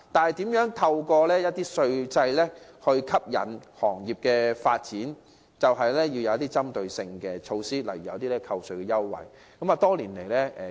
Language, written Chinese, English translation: Cantonese, 為了透過稅制吸引工業發展，我們必需推出針對性措施，例如提供扣稅優惠。, In order to boost industrial development under the tax regime we must introduce target - oriented measures such as providing tax deductions